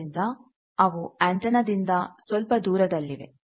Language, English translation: Kannada, So, they are a bit away from the antenna